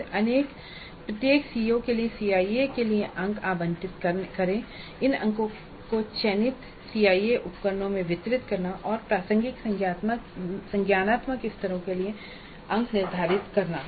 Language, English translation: Hindi, Then for each CO, allocate marks for CIE, distribute these marks over the selected CIE instruments and determine the marks for relevant cognitive levels